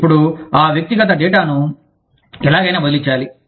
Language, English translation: Telugu, Now, that personal data, has to be transferred, somehow